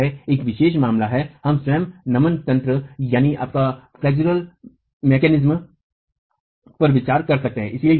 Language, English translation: Hindi, So, this is a special case that we can consider of flexual mechanism itself